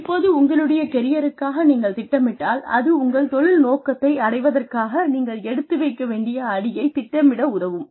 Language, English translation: Tamil, Now, planning for your careers, helps you decide, the number of steps, you need to take, to reach your career objective